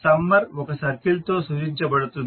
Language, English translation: Telugu, So the summer is represented by a circle